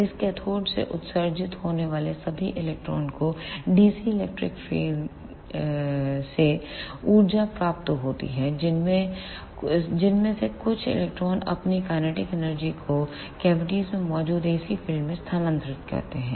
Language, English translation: Hindi, All the electrons which are emitted from this cathode get energy from the dc electric field some of those electron transfer their kinetic energy to the ac field present in the cavities